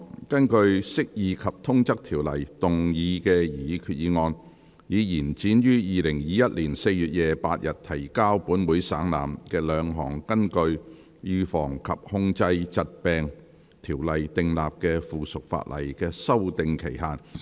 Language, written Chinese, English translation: Cantonese, 根據《釋義及通則條例》動議擬議決議案，以延展於2021年4月28日提交本會省覽的兩項根據《預防及控制疾病條例》訂立的附屬法例的修訂期限。, Proposed resolution under the Interpretation and General Clauses Ordinance to extend the period for amending two items of subsidiary legislation made under the Prevention and Control of Disease Ordinance which were laid on the table of this Council on 28 April 2021